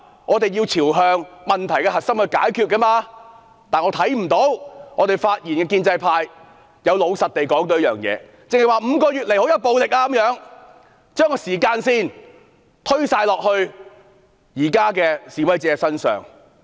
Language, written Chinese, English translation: Cantonese, 我們要朝問題核心來解決，但我看不到發言的建制派議員有老實地說出這件事，只是說5個月以來出現很多暴力，將時間線全部推到現在的示威者身上。, To solve the matter we must find out the crux of it . But I do not think the pro - establishment Member who have spoken have honestly told the truth . They only say that there have been many violent incidents over the past five months and they have pushed the timeline by putting all the blame on the protesters now